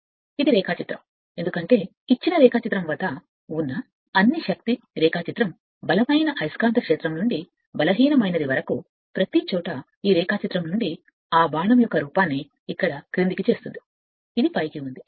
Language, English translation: Telugu, So, this is your what you call this is the diagram, because this all the your force diagram at given diagram from stronger magnetic field to the weaker one, everywhere from this diagram it is the look at that arrow is download here it is upward so right